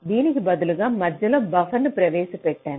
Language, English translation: Telugu, instead of this, i insert a buffer in between